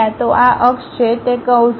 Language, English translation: Gujarati, So, this is the axis, that is the curve